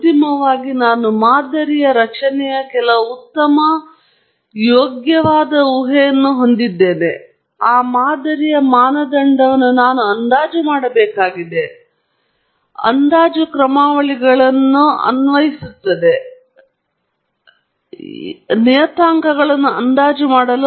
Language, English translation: Kannada, Finally, I have some good decent guess of the model structure, and then, I have to estimate the parametric of that model, where I apply estimation algorithms which are essentially optimization algorithms to estimate the parameters, and then, I have a model with me